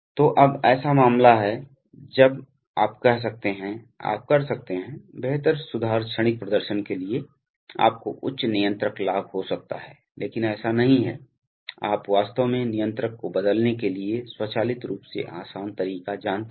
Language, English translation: Hindi, So now is the case when you can have a, you can, for better improved transient performance, you can have a higher controller gain, but it is not, you know automatically easy to actually change controller